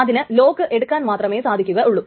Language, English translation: Malayalam, So it can only get locks